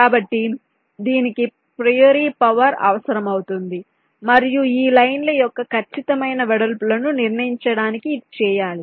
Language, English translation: Telugu, so this will be require a priori power and this is to be done to decide on the exact widths of this lines